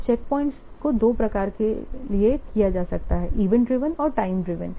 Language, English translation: Hindi, So the checkpoints can be of two types, event driven and time driven